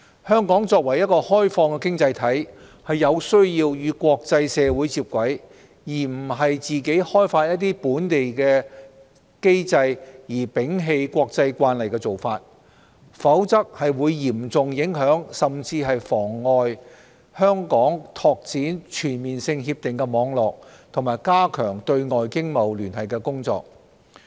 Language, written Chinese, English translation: Cantonese, 香港作為一個開放的經濟體，有需要與國際社會接軌，非自行制訂本地機制而摒棄國際慣例，否則將嚴重影響、甚至妨礙香港拓展全面性協定的網絡及加強對外經貿聯繫的工作。, As an open economy Hong Kong has the need to align with the international community instead of formulating on its own local mechanisms and abandoning international practices otherwise efforts in expanding Hong Kongs CDTA network and strengthening our external economic and trade ties will be seriously affected and even impeded